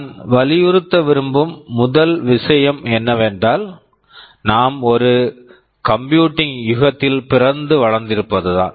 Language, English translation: Tamil, The first thing I want to emphasize is that, we have been very lucky that we have been born and brought up in an age of computing